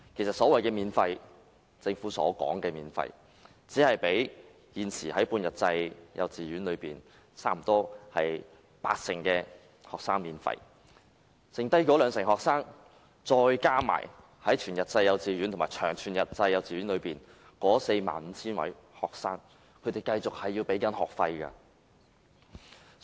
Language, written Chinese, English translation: Cantonese, 政府其實只是全額資助現時半日制幼稚園約八成學生的學費，餘下兩成學生，加上全日制及長全日制幼稚園內 45,000 名學生仍要繼續繳交學費。, At present the Government has only fully subsidized the tuition fees of about 80 % of students in half - day kindergartens . The remaining 20 % of students in these kindergartens and 45 000 students of whole - day kindergartens and long whole - day kindergartens still have to pay tuition fees